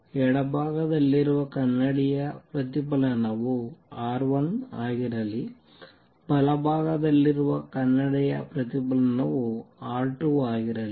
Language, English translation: Kannada, Let the reflectivity of mirror on the left be R 1, the reflectivity of the mirror on the right be R 2